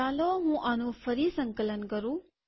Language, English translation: Gujarati, Let me compile this again